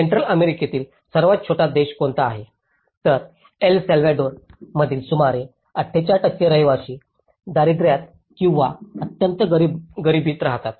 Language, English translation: Marathi, Which is the smallest country in the Central America so, it is about the 48% of inhabitants of El Salvador live in the poverty or in extreme poverty